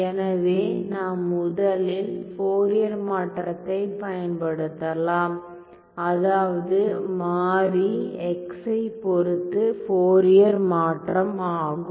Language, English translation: Tamil, So, let me first apply Fourier transform; Fourier transform with respect to the variable x here ok